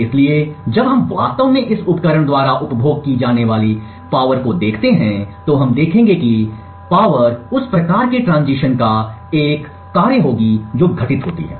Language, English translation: Hindi, So, therefore when we actually look at the power consumed by this device, we would see that the power would be a function of the type of transitions that happen